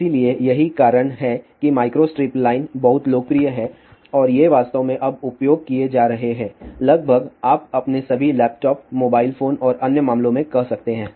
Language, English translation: Hindi, So, that is why micro strip line is very very popular andthese are really speaking used now, almost you can say in all your laptops mobile phone and other cases